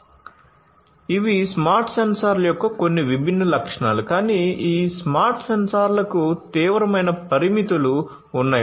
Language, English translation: Telugu, So, these are some of these different features of the smart sensors, but these smart sensors have severe limitations